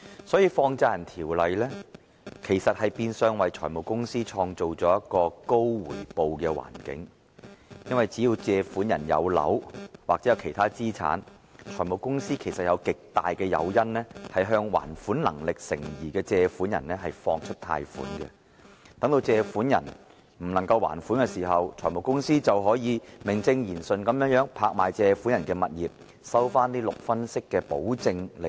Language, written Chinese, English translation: Cantonese, 所以，《放債人條例》其實變相為財務公司創造了一個高回報的環境，因為只要借款人擁有物業或其他資產，財務公司便有極大誘因向還款能力成疑的借款人貸出款項；借款人如未能還款，財務公司便可以名正言順地拍賣借款人的物業，收回6分息的保證利潤。, Hence the Money Lenders Ordinance has in effect created an environment of high return for finance companies because as long as the borrowers own properties or other assets the finance companies will have a great incentive to lend money to borrowers with doubtful repayment capacity . Once the borrowers fail to make repayment the finance companies will have a legitimate ground to auction off the borrowers properties and receive a guaranteed profit at the rate of 60 % . In the past few years we received a number of similar cases